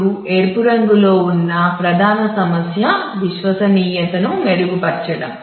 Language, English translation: Telugu, So, now, the main issue in red is to improve reliability